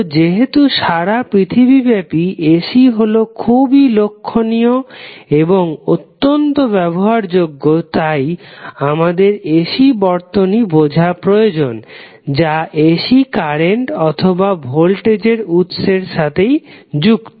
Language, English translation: Bengali, So, since AC is very prominent and it is highly utilized across the globe, we need to understand the AC and the AC circuits which are connected through AC current or voltage source